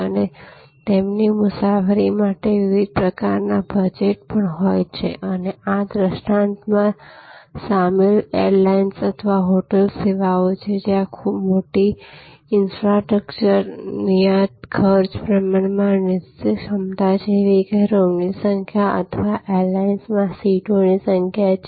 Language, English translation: Gujarati, And also have different kinds of budgets for their travel and airlines or hotels involved in this paradigm are services, where there is a big infrastructure fixed cost, relatively fixed capacity like number of rooms or number of seats on the airlines